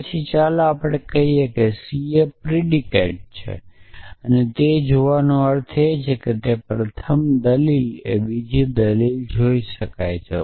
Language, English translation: Gujarati, So, let us say c is stands for the predicate and the meaning of sees is that the first argument can see the second argument